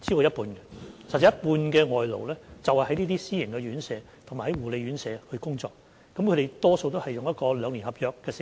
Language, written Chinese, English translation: Cantonese, 有一半外勞在這些私營院舍及護理院舍工作，他們大多是簽訂兩年合約的。, More than half of the foreign labour work in these private homes and care homes and most of them are on two - year contracts